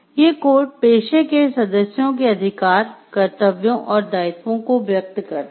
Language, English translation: Hindi, These course expresses the rights duties and obligations of the members of the profession